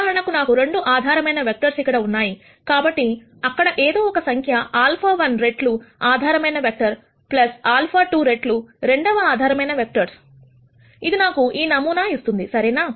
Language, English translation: Telugu, So, for example, since I have 2 basis vectors here, there is going to be some number alpha 1 times the basis vector, plus alpha 2 times the second basis vector, which will give me this sample right